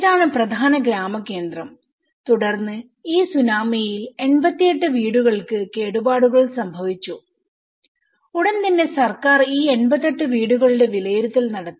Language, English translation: Malayalam, And this is the main village centre and then 88 houses were damaged during this Tsunami and immediately the government have done the assessment of these 88 houses